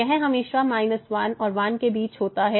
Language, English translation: Hindi, This is always between minus and